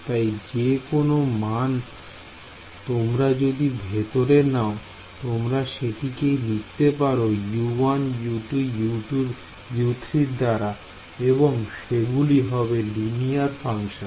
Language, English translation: Bengali, So, any value if you take inside I can write it as a linear combination of U 1 U 2 U 3 and these are the linear functions